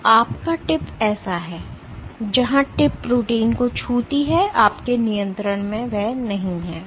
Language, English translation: Hindi, So, your tip hold so, where the tip touches the protein is not in your control